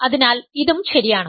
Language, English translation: Malayalam, So, this is right